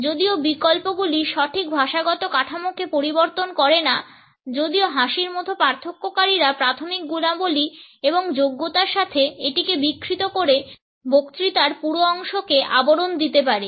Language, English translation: Bengali, Although alternates do not modify the proper linguistic structure, while differentiators such as laughter may cover whole stretches of speech combined with primary qualities and qualifiers distorting it